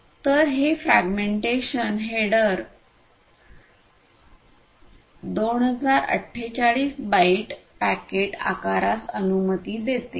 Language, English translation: Marathi, So, this fragmentation header allows 2048 bytes packet size with fragmentation